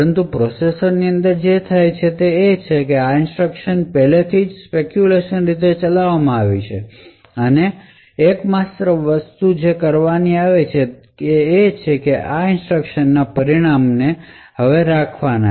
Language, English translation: Gujarati, But what happens within the processor is that these instructions are already speculatively executed and the only thing that is required to be done is that the results of these instructions should be committed